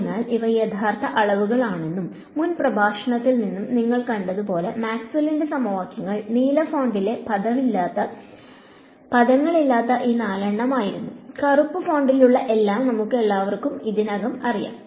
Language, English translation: Malayalam, So, just to tell you that these are real quantities and so as you saw from the previous lecture, Maxwell’s equations were these four without the terms in the blue font ok, we all know everything in the black font already